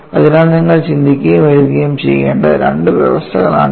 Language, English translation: Malayalam, So, these are the two conditions that you have to think and write